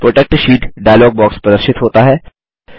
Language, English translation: Hindi, The Protect Sheet dialog box appears